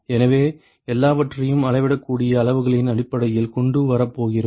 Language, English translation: Tamil, So, we are going to bring everything in terms of the measurable quantities